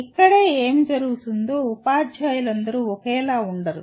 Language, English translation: Telugu, This is where what happens is all teachers are not the same